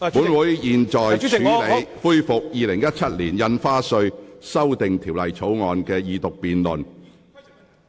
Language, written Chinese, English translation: Cantonese, 本會現在恢復《2017年印花稅條例草案》的二讀辯論。, We resume the Second Reading debate on Stamp Duty Amendment Bill 2017